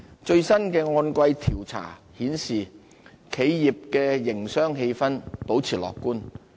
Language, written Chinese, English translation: Cantonese, 最新的按季調查顯示，企業的營商氣氛保持樂觀。, According to the latest quarterly survey business sentiment remained optimistic